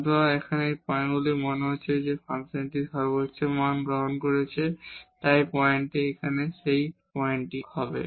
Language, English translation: Bengali, So, at these points here it seems that the function is taking the maximum values so at though this point here or that point here